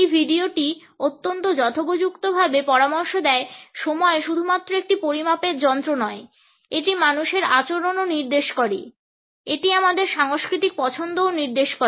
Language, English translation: Bengali, As this video very aptly suggest, time is not only a measuring instrument, it also indicates human behavior; it also indicates our cultural preferences